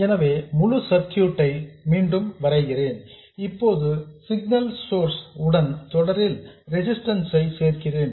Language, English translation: Tamil, So, I will redraw the whole circuit and this time I will also include the resistance in series with the signal source